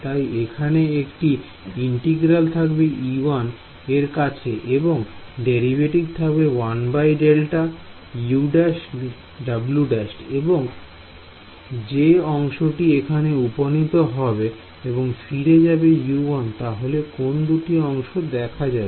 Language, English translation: Bengali, So, this there will be an integral minus over e 1, the derivative here is positive 1 by delta for w prime, u prime which terms will appear go back over here U 1 which two terms will appear